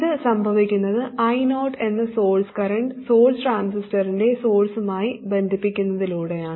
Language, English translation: Malayalam, This happens because I 0 the source, the current source is connected to the source of the transistor